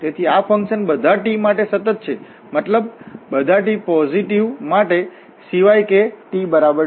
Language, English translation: Gujarati, Hence this function is continuous for all t except, I mean all t positive, except t is equal to 2